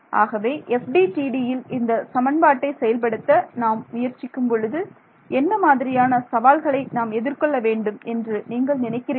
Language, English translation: Tamil, So, let us try to just think of what are the challenges that will come when we are trying to implement this equation in FDTD